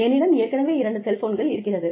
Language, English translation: Tamil, I already have two cell phones